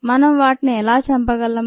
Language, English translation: Telugu, how do you kill it